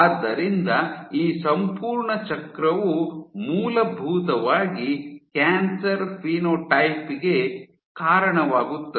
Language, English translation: Kannada, So, this entire cycle is essentially leading to this a tumor phenotype, it drives a tumor phenotype